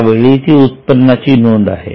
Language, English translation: Marathi, This is an income item